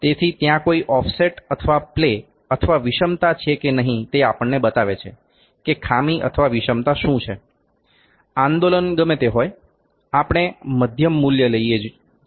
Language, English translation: Gujarati, So, as to see whether there is in offset or play or eccentricity this can tell us whether defect to the what the eccentricity is, whatever the movement is we take the mid value